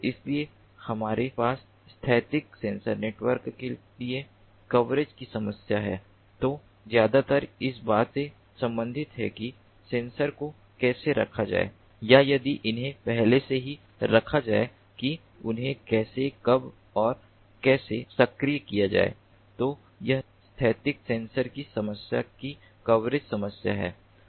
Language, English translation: Hindi, so we have the coverage problem for static sensor networks, concerned mostly about how to place the sensors or, if they are already placed, how to activate them, when and how to activate them